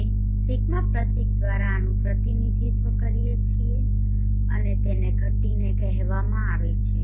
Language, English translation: Gujarati, We represent this by symbol d and it is called declination